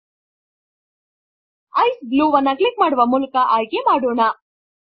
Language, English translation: Kannada, Let us choose Ice Blue, by clicking on it